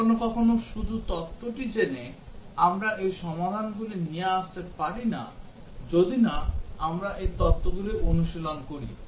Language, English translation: Bengali, Sometimes just knowing the theory, we really do not come up with the solutions unless we have practised these theories